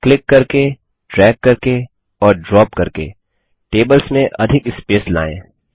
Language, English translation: Hindi, By clicking, dragging and dropping, let us introduce more space among the tables